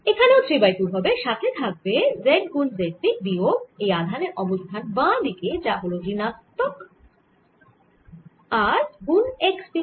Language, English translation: Bengali, also its three by two times z, z minus the position of this, this charge on the left, which is minus r x